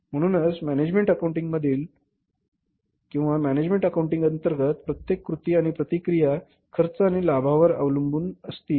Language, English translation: Marathi, So every action and reaction in the management accounting or under management accounting will be based upon the cost and the benefit